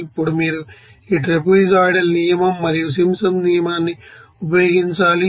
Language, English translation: Telugu, Now, you have to use this trapezoidal rule and Simpsons rule